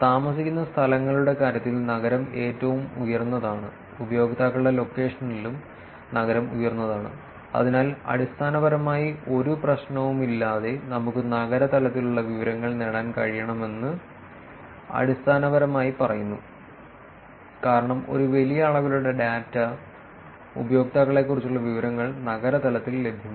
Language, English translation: Malayalam, City is highest in terms of places lived, city is highest in terms of user location also, so that basically says that we should be able to actually get the city level of information without any problem, because large amount of data for the information about the users is available at the city level